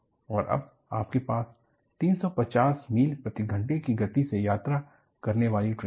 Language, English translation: Hindi, And now, you have trains traveling at the speed of 350 miles per hour